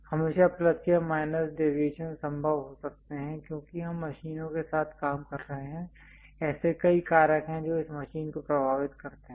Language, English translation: Hindi, There are always be plus or minus deviations possible, because we are dealing with machines, there are many factors which influences this machine